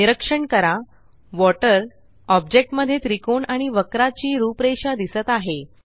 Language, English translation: Marathi, Observe that in the object water, the outlines of the triangle and the curve are displayed